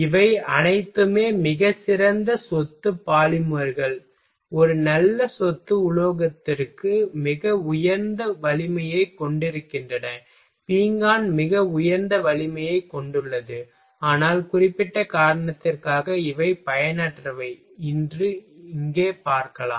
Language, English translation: Tamil, all though these have a very good property polymers have a good property metal have a very high strength, ceramic has a very high strength, but you can say see here that for particular reason these are the useless ok